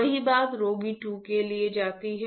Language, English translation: Hindi, Same thing go for patient 2